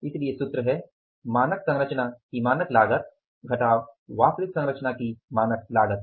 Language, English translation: Hindi, So, the formula is standard cost of the standard composition minus standard cost of the actual composition